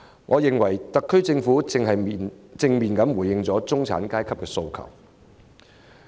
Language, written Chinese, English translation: Cantonese, 我認為特區政府已正面回應了中產階級的訴求。, That I think is a positive response to the aspirations of the middle class by the SAR Government